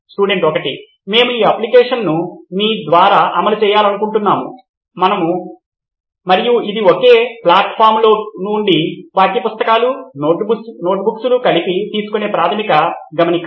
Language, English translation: Telugu, We would like to run you through this app and it is a basic note taking application from textbooks, notebooks together in one platform